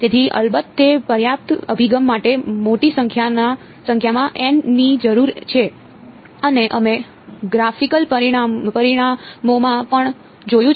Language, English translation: Gujarati, So, of course, that is enough approach need large number of N and we saw that in the graphical results also